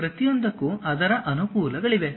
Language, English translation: Kannada, Each one has its own advantages